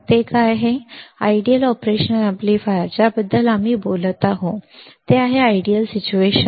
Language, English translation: Marathi, Ideal operational amplifiers we are talking about now ideal situation ok